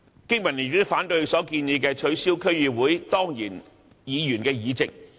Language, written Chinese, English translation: Cantonese, 經民聯亦反對他提出取消區議會當然議員議席的建議。, The BPA also opposes his proposal of abolishing the ex - officio seats in DCs